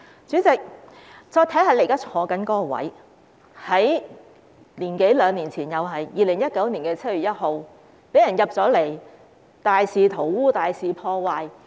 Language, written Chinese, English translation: Cantonese, 主席，再看看你現時坐的位置，在一年多兩年前的2019年的7月1日，被進入大樓的人大肆塗污和破壞。, President look at your current seat which was defaced and vandalized by people who entered the Complex more than a year or some two years ago on 1 July 2019